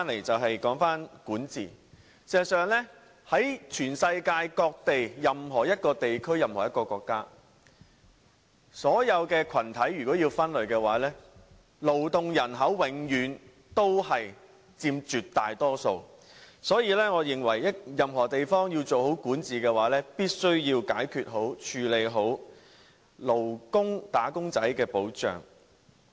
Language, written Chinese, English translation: Cantonese, 至於管治問題，世界各地任何一個地區或國家，如果要把所有群體分類，勞動人口永遠佔絕大多數，所以我認為任何地方要做好管治的話，必須要妥善解決及處理"打工仔"的保障。, As for governance if all social groups are to be classified in any region or country around the world the working population is always the majority . Hence in my opinion protection for wage earners must be properly addressed in order to achieve good governance